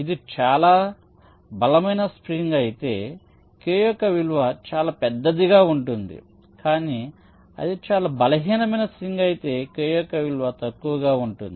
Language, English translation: Telugu, if it is a very strong spring the value of k will be very large, but if it is very weak spring the value of k will be less